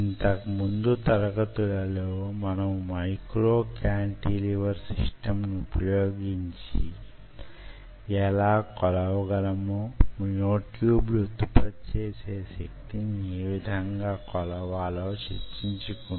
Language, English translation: Telugu, so for last classes we have been talking about how we can measure using a micro cantilever system, how we can measure the force generated by the myotubes